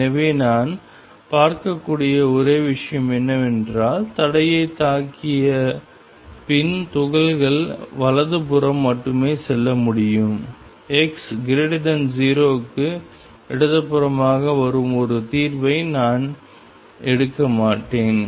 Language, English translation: Tamil, So, the only thing I can see is that the particles after hitting the barrier can go only to the right, I will not take a solution coming to the left for x greater than 0